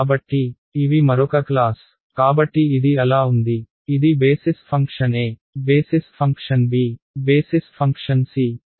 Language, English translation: Telugu, So, these are another class so this is so, this is basis function a, basis function b, basis function c